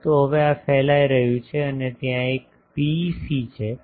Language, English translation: Gujarati, But now this is radiating and that there is a PEC